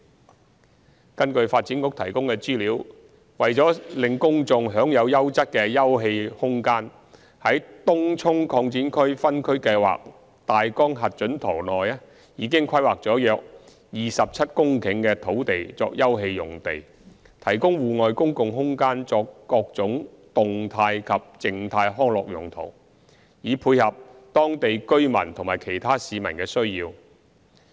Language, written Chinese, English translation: Cantonese, 三根據發展局提供的資料，為使公眾享有優質的休憩空間，在《東涌擴展區分區計劃大綱核准圖》內已規劃了約27公頃的土地作休憩用地，提供戶外公共空間作各種動態及/或靜態康樂用途，以配合當地居民和其他市民的需要。, 3 According to the information provided by the Development Bureau to enable the public to enjoy quality open space about 27 hectares on the approved Tung Chung Extension Area Outline Zoning Plan OZP have been planned as open space for various active and passive recreational uses to serve the need of local residents and the general public